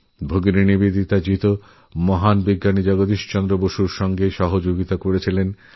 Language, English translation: Bengali, Bhagini Nivedita ji also helped the great scientist Jagdish Chandra Basu